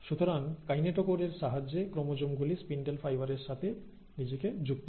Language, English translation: Bengali, So this is the kinetochore structure with which the chromosomes will now attach themselves to the spindle fibres